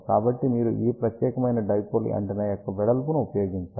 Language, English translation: Telugu, So, you have to use width of this particular dipole antenna